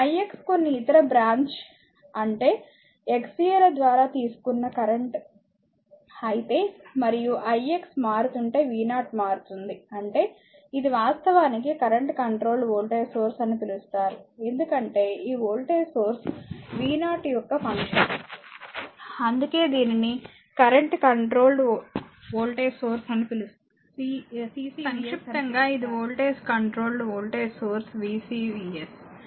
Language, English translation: Telugu, If the i x is the current through some other branch some branch x a and i x is changing to a v 0 is changing; that means, it is a it is actually called current controlled voltage source because these voltage source v 0 is function of the current, that is why it is called current controlled voltage source CCVS in short it is voltage controlled voltage source VCVS right